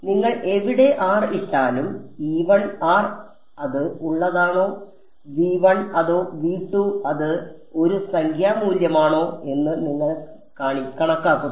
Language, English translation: Malayalam, So, wherever you put r you calculate E i of r whether it is in v 1 or v 2 it is a numerical value right